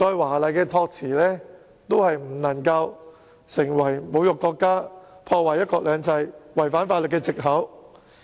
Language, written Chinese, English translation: Cantonese, 無論議員的託辭怎樣華麗，也不能成為侮辱國家、破壞"一國兩制"及違反法律的藉口。, However rhetorical the excuse of the Member is it should not become a pretext for insulting the country undermining one country two systems and breaching the law